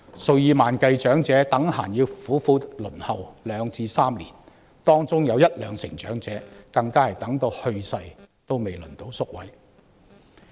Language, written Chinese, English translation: Cantonese, 數以萬計長者動輒要苦苦輪候兩至三年，當中有一兩成長者更是直到去世仍未輪候到宿位。, Tens of thousands of elderly persons have to wait for two to three years with 10 % to 20 % of them not being allocated places before death